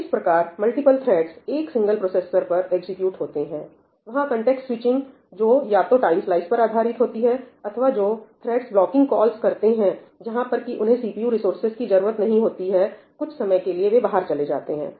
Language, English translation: Hindi, So, this is how multiple threads execute on a single processor there is context switching that happens, either based on time slices or the threads making blocking calls where they do not need the CPU resources for some period of time and therefore they are moved out